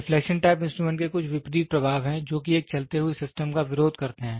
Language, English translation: Hindi, The deflection type instrument has opposite effects which opposes the displacement of a moving system